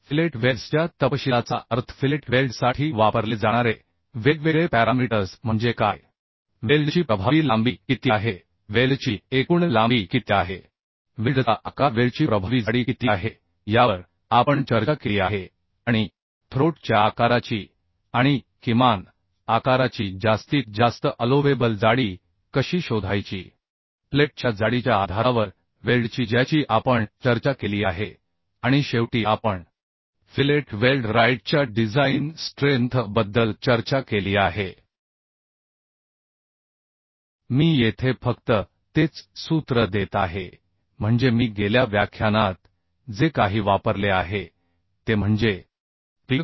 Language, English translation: Marathi, Hello today I am going to discuss about design of Fillet welds in last lecture I have discussed a details about the fillet welds mean different parameters used for fillet welds like what is the effective length of the weld what is the total length of the welds what is the size of the welds what is the effective thickness of the weld like this we have discussed and also how to find out the maximum allowable throat thickness of the size and minimum size of the weld on the basis of the plate thickness that also we have discussed and finally we have discussed about the design strength of fillet weld right I am just giving a same formula here means whatever I have used in last class that is Pdw is equal to fu Lw into te by root 3 gamma mw where te is effective throat thickness that can be found as case and in case of generally we use right angle and for that it is 0